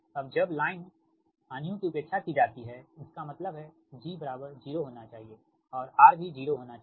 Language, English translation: Hindi, so while line losses a neglected, that means g should be zero and r should be zero, right